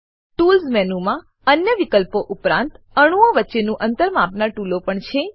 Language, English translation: Gujarati, Tools menu has tools to measure distances between atoms, apart from other options